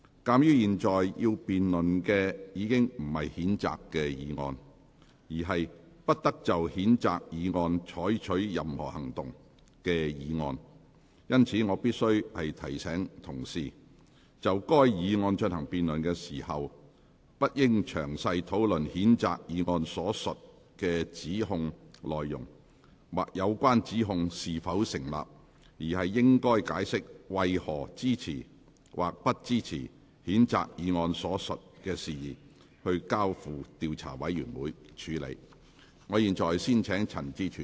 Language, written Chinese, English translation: Cantonese, 鑒於現在要辯論的不是譴責議案，而是"不得就譴責議案再採取任何行動"的議案，因此，我必須提醒議員，就該議案進行辯論時，不應詳細討論譴責議案所述的指控內容，或有關指控是否成立，而應解釋為何支持或不支持將譴責議案所述的事宜，交付調查委員會處理。, Since the present debate is not on the censure motion but on the motion that no further action shall be taken on the censure motion I must remind Members that during the debate on this motion Members should not discuss the content of the allegations stated in the motion in detail or whether the allegations are justified . Members should explain why they support or oppose that the matter stated in the censure motion be referred to an investigation committee